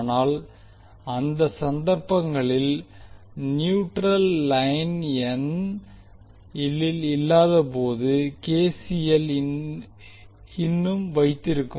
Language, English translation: Tamil, But in those cases when the neutral line is absent at node n KCL will still hold